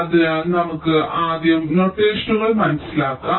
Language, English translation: Malayalam, so lets understand the notations